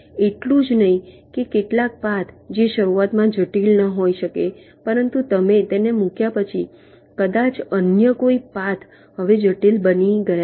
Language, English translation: Gujarati, not only that, some of the paths which might not be critical initially, but after you have placed them maybe some other path has now become critical